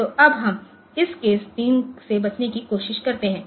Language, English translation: Hindi, So, we now we try to avoid this case 3